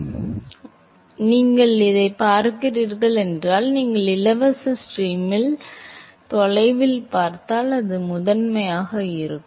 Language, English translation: Tamil, So, if you look at the, if you look at far away in the free stream, it will be primarily in the